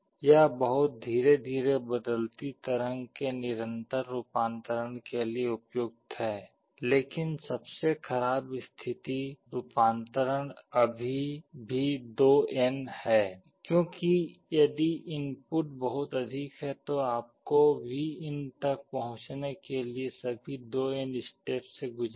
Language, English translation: Hindi, This is suitable for continuous conversion of very slowly varying waveform, but the worst case conversion is still 2n because if the input is very high you will have to count through all 2n steps to reach Vin